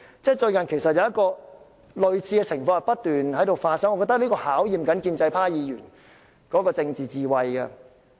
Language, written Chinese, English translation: Cantonese, 最近，類似的情況不斷發生，我認為這是在考驗建制派議員的政治智慧。, Recently similar situations have constantly taken place; I think they serve to test the political wisdom of pro - establishment Members